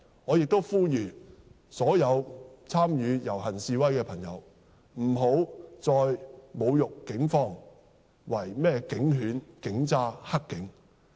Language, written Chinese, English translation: Cantonese, 我亦呼籲所有參與遊行示威的朋友，不要再侮辱警方為甚麼警犬、警渣、黑警。, I call on all participants of rallies and demonstrations to stop hurling insults at the Police by calling them police dogs police scum black cops